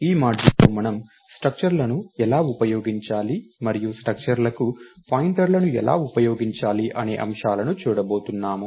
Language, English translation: Telugu, module, we are going to look at how do we use structures and how do we use pointers to structures